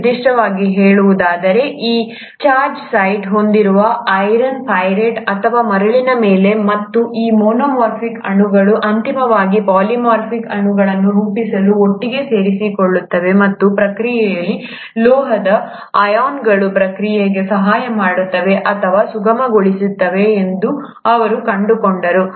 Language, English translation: Kannada, To be specific, on iron pyrite or on sand, which do have these charged sites, and he found that these monomeric molecules would eventually join together to form polymeric molecules, and in the process it is the metal ions which are helping or facilitating the process of condensation